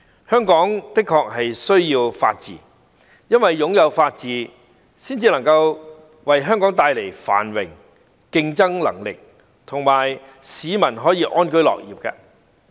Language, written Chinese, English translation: Cantonese, 香港的確需要法治，因為擁有法治才能為香港帶來繁榮、競爭能力及讓市民安居樂業。, It is necessary for Hong Kong to have the rule of law without which we can never achieve prosperity enhance competitiveness and bring peaceful live to people